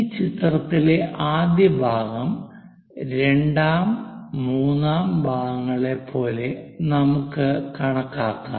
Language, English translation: Malayalam, Let us count like first part, second, third parts on this figure